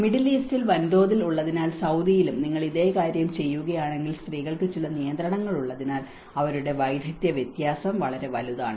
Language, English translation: Malayalam, If you do the same thing in Saudi because there is a huge in the Middle East, so they have the skill difference is so huge because women have certain restrictions